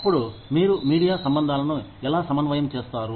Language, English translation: Telugu, Then, how do you coordinate, media relations